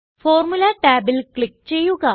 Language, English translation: Malayalam, Click on the Formula tab